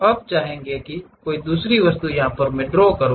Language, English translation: Hindi, Now, you would like to draw some other object